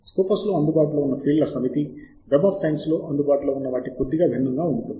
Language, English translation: Telugu, the set of fields that are available in scopus are slightly different from those that are available in web of science